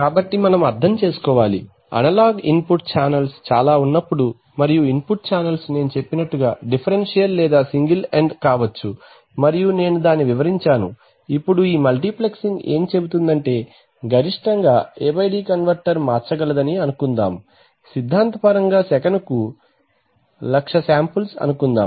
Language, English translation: Telugu, So we have to understand that when there are a number of input analog channels and the input channels can be differential or single ended as I said and I explained the meaning, now that this multiplexing says that the, if you are the, that is the maximum, suppose the A/D converter can convert, let us say theoretically speaking 100,000 samples per second